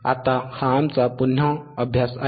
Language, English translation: Marathi, Now, this is our exercise again